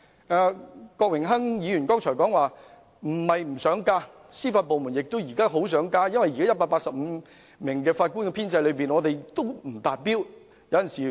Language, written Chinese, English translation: Cantonese, 正如郭榮鏗議員剛才所說，不是司法機構不想增加人手，因為現時185名法官的編制根本仍未達標。, As Mr Dennis KWOK has just said it is not that the Judiciary is reluctant to increase manpower as the present establishment of 185 judges has yet to reach the staffing establishment